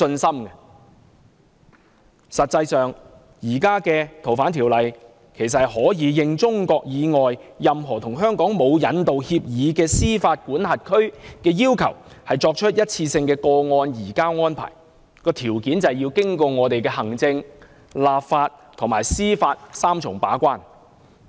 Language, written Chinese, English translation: Cantonese, 實際上，根據現行《條例》，香港可以因應中國以外任何與香港沒有引渡協議的司法管轄區要求，作出一次性個案移交安排，但條件是要經過香港的行政、立法及司法三重把關。, In fact under the present Ordinance one - off case - based surrender arrangements are available by request to all jurisdictions other than China with which Hong Kong has no long - term arrangements subject to a three - tier scrutiny by the executive judiciary and the legislature